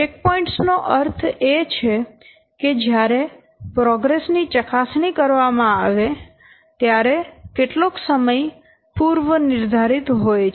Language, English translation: Gujarati, Checkpoints means these are some predetermined times when progress is checked